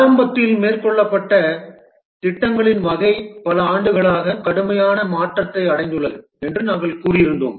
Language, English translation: Tamil, At the beginning we had said that the type of projects that are undertaken have undergone a drastic change over the years